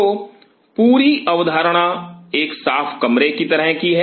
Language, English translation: Hindi, So, the whole concept is like a clean room